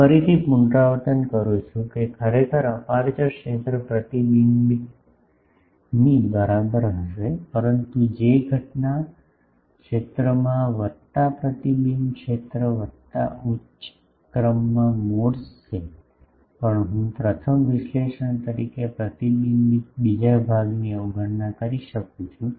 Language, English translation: Gujarati, I am again repeating that actually aperture field will be equal to the reflected, but the actually the what has incident field plus the reflected field plus the higher order modes, but I can neglect the reflected another part as a first analysis